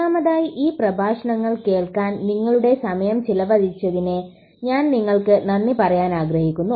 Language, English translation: Malayalam, First of all I would like to thank you for spending your time on listening to these lectures